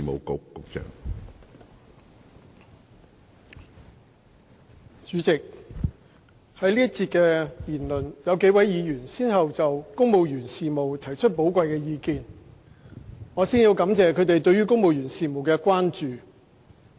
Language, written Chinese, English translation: Cantonese, 主席，在本節辯論，有幾位議員先後就公務員事務提出了寶貴的意見，我先感謝他們對公務員事務的關注。, President in this debate session several Members have put forward their valuable views on civil service matters . First of all I wish to thank them for putting forward their concerns about civil service matters